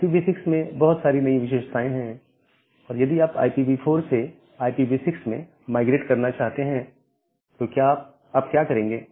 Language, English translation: Hindi, And IPv6 has a huge new set of features now if, you want to migrate from IPv4 to IPv6 how will you do that